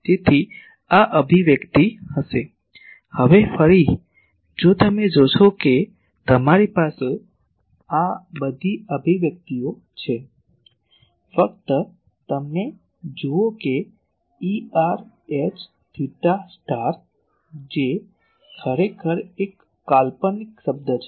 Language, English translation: Gujarati, So, this will be the expression, now again if you look at you have all this expressions just look at them E r H phi star, that actually is a purely imaginary term